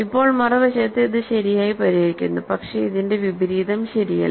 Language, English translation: Malayalam, So now, on the other hand; so, this solves it right, but converse is not true